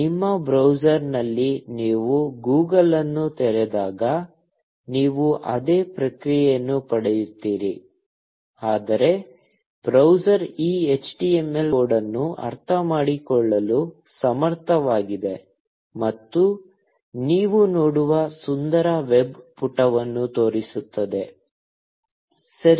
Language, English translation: Kannada, You get the same response when you open Google in your browser; but, the browser is capable of understanding this HTML code, and showing it as a pretty looking web page that you see, OK